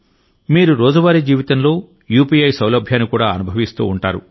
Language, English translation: Telugu, You must also feel the convenience of UPI in everyday life